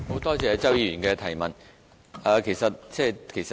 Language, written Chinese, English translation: Cantonese, 多謝周議員的補充質詢。, I thank Mr CHOW for his supplementary question